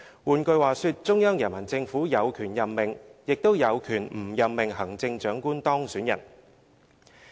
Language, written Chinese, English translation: Cantonese, 換句話說，中央人民政府有權任命、也有權不任命行政長官當選人。, In other words the Central Peoples Government has the right to appoint or not to appoint the person who has been elected the Chief Executive